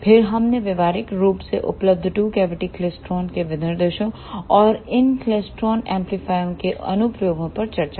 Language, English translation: Hindi, Then we discussed specifications of practically available two cavity klystron and applications of these klystron amplifiers